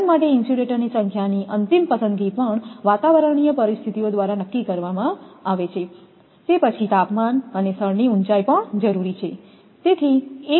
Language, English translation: Gujarati, Final choice of the number of insulators for a line is also dictated by the atmospheric conditions, then temperature and altitude of the place